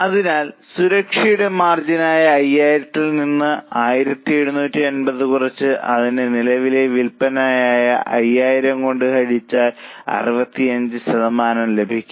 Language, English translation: Malayalam, So, margin of safety 5,000 minus 1,750 divided by their current sales of which is 5,000